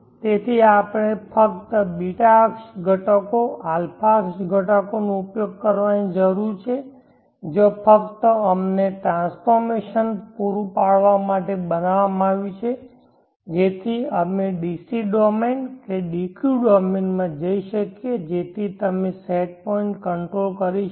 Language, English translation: Gujarati, So we need to use only the ß axis components a axis components where created just to provide us the transformation, so that we could go into the dq domain that is the dc domain so that you could so set point control